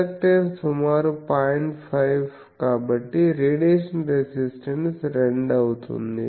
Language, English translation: Telugu, 5 so, radiation resistance will be 2